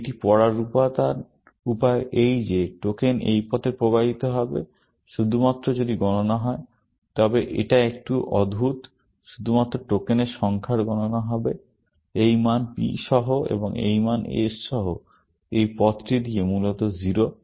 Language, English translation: Bengali, The way to read this is that the token will flow down this path, only if the count; now, this is a bit weird; only the count of the number of tokens, passing down this path, with this value P and with this value S, is 0, essentially